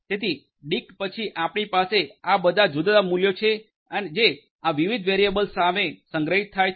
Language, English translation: Gujarati, So, dict then you have all these different values that are going to be stored against these different variables